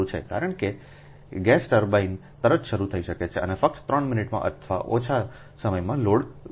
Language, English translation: Gujarati, the reason is gas turbines can be started and loaded in just three minutes or less, because it is very it